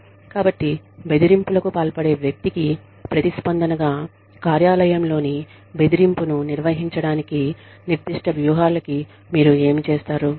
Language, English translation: Telugu, So, specific strategies to manage workplace bullying, in response to the bully